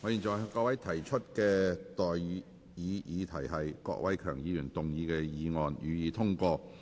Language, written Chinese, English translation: Cantonese, 我現在向各位提出的待議議題是：郭偉强議員動議的議案，予以通過。, I now propose the question to you and that is That the motion moved by Mr KWOK Wai - keung be passed